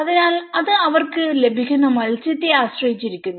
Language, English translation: Malayalam, So, it depends completely on the kind of fish catch they get